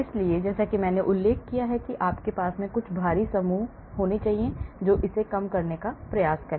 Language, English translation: Hindi, So, like I mentioned try to reduce that by putting in some bulky groups nearby